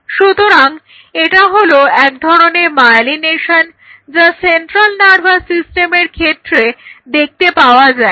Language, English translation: Bengali, So, this is a form of myelination what you see in the central nervous system neuron